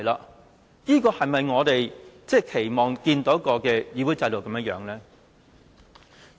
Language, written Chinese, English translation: Cantonese, 可是，這是否我們期望看到的議會制度呢？, But is this the kind of Council system we wish to see?